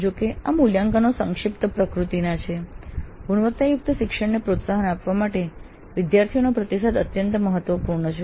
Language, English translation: Gujarati, Though these assessments are summative in nature, the feedback to the students is extremely important to promote quality learning